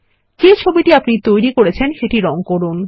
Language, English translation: Bengali, Color this picture you created